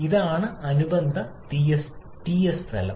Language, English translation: Malayalam, This is the corresponding representation Ts plane